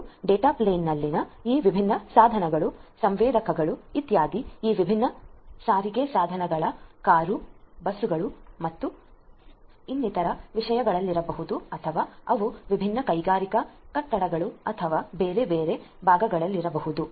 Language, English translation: Kannada, And these different devices in the data plane the sensors etcetera might be there in these different transportation devices cars, buses and so on or they might be there in the different industrial, buildings or different other parts so, this is your data plane